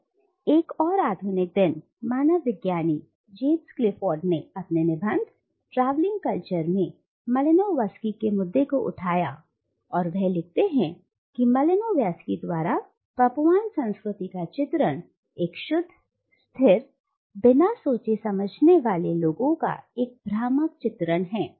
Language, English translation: Hindi, Well another modern day anthropologist James Clifford, in his essay “Travelling Cultures”, takes up this case of Malinowski and he writes that Malinowski's portrayal of the Papuan culture as pure, static, unchanging, and uncontaminated is an illusion